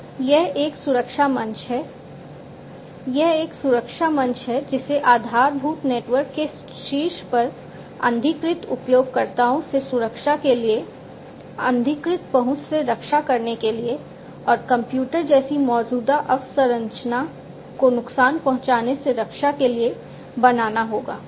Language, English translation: Hindi, So, it is a protective platform, it is a protective platform that will have to be created on top of the basic network, for protecting from unauthorized users, protecting from damage unauthorized access, and damage to the existing infrastructure like computers etcetera and so on